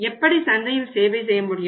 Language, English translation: Tamil, How we are able to serve the market